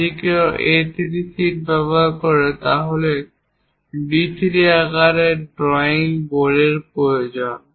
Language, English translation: Bengali, If one is using A3 sheet, then the drawing board required is D3 size